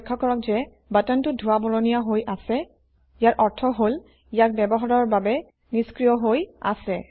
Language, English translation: Assamese, Notice that the button is greyed out, meaning now it is disabled from use